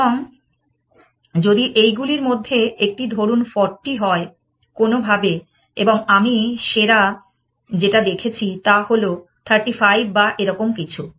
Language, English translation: Bengali, And if these one of them happens to be let us say 40, somehow and the best that I have seen is only 35 or something like that